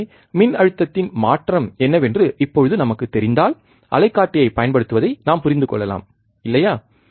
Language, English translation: Tamil, So now if we know what is the change in the voltage, that we can understand using oscilloscope, right